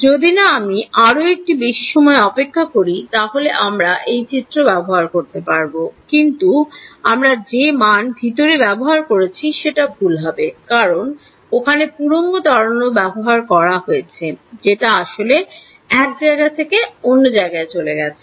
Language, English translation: Bengali, Not if I wait for more time I will use this formula, but the numbers that I put inside will be wrong because there will refer to old wave has already travelled physically